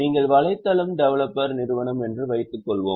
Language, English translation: Tamil, Suppose you are a web developer company you purchase a car